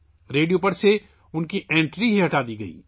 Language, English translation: Urdu, His entry on the radio was done away with